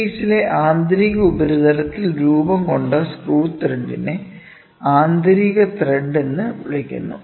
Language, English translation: Malayalam, When you talk about internal threads, the screw thread formed on the internal surface of the work piece is called as internal thread